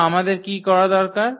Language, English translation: Bengali, So, what do we need to do